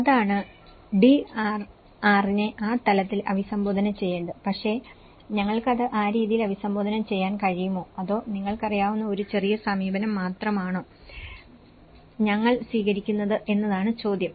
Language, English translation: Malayalam, That is the DRR has to be addressed in that level but the question is whether we are able to address that in that way or we are only taking in a piecemeal approach you know